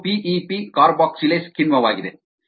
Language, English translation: Kannada, this is the p e, p carboxylase enzyme that is doing this